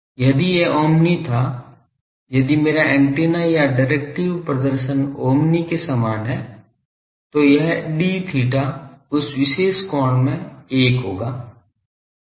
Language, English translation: Hindi, If it was omni , if my antenna is directive performance is same as omni , then this d theta phi in that particular angle will be 1